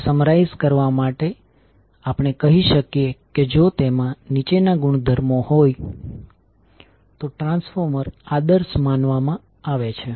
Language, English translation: Gujarati, So to summaries we can say the transformer is said to be ideal if it has the following properties